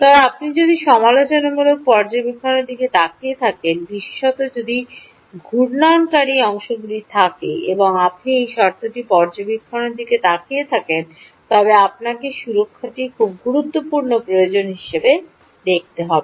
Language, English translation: Bengali, but if you are looking at critical monitoring, particularly if there are rotating parts, and you are looking at this condition monitoring command, you may have to look at safety as a very important requirement